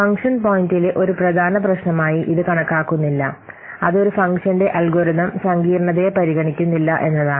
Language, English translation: Malayalam, It does not consider one of the major problem with function point is that it does not consider algorithm complexity of a function